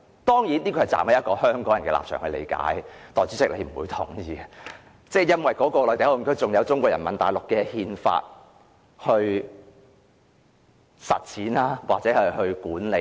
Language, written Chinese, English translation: Cantonese, 當然，這是站於香港人的立場來理解，代理主席是不會認同的，因為內地口岸區還有中國內地法律來管理。, Of course this is an understanding from Hong Kong peoples perspective . Deputy Chairman will not agree with me because Mainland laws will be applied in MPA